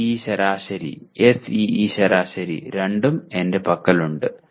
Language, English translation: Malayalam, CIE average I have and SEE class averages also that I have